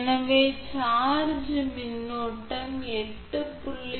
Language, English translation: Tamil, So, charging current is 8